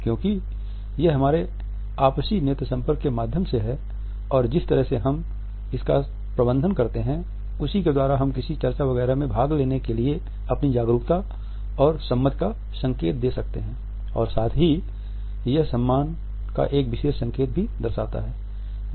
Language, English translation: Hindi, Because it is through our mutual eye contact and the way we manage our gaze that, we can indicate our awareness our willingness to participate in any discussion etcetera and at the same time it also signifies a particular sign of respect